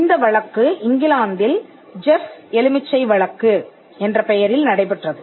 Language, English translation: Tamil, This case was in the United Kingdom the Jeff lemon case